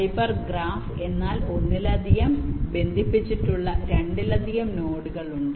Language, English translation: Malayalam, hyper graph means there are more than two nodes which are connected together